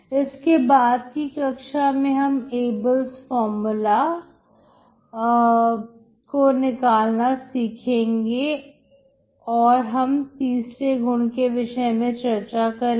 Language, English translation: Hindi, So next class we will derive Abel’s formula and then we will see this property three